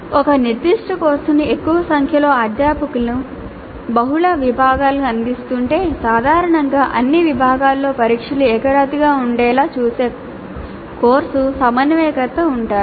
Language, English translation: Telugu, And if a particular course is being offered by a larger number of faculty to multiple sections, then usually there is a course coordinator who ensures that the tests are uniform across all the sections